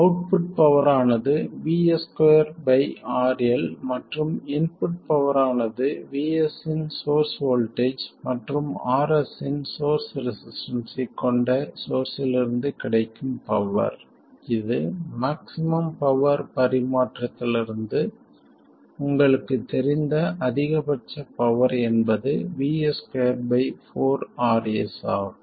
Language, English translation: Tamil, The output power will be V2 square by RL and the input power, the available power from the source which has a source voltage of VS and a source resistance of RS, this is the maximum available power which you know from maximum power transfer is VS square by 4RS